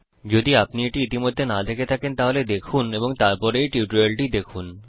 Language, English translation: Bengali, If you have not seen that already, please do so and then go through this tutorial